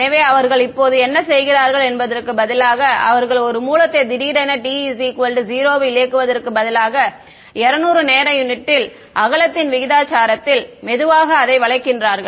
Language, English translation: Tamil, So, what they are doing now is they are this instead of turning a source on suddenly at t is equal to 0, we ramp it slowly over a time proportional to the width of 20 time units